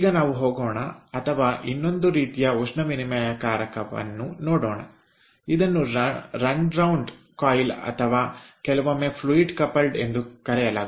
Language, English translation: Kannada, now, ah, let us go, ah, let us go, or let us ah see a another kind of heat exchanger which is called runaround coil or sometimes it is called a ah, fluid coupled heat exchanger